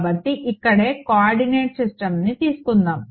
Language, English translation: Telugu, So, let us take a coordinate system over here right